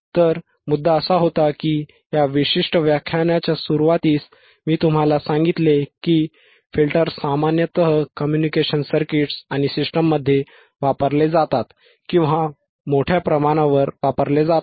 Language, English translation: Marathi, So, the point was that, in the starting of the this particular filters lecture, I told you that the filters are generally used or most widely used in the communication circuits in the communication or systems alright ok